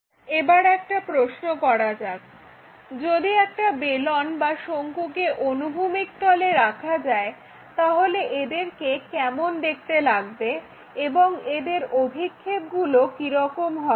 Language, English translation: Bengali, Now, let us ask a question if a cylinder or cone is placed on horizontal plane, how it looks like, what are the projections for the solid